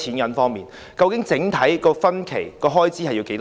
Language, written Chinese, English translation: Cantonese, 究竟計劃的整體及分期開支是多少？, How much will the project cost in total and in phases?